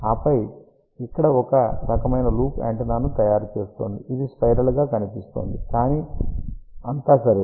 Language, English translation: Telugu, And then this one over here is making a kind of a loop antenna, you can also say that it looks like a spiral ok, but it is all right